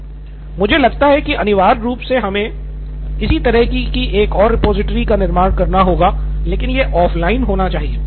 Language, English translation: Hindi, I think essentially we would have to build a similar kind of repository but it should be offline